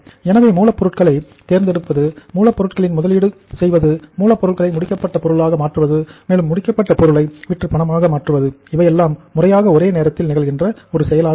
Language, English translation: Tamil, So the choice of raw material, investment in raw material, conversion of raw material into finished product and converting that finished product into cash by selling their product in the market has to be in a synchronized manner